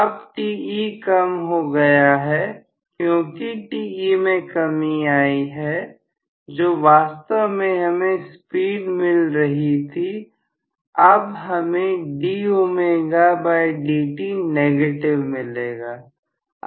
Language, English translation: Hindi, Now, Te has decreased, because Te has decreased, I am going to have clearly the amount of speed that is actually offered, I am going to have d omega by dt being negative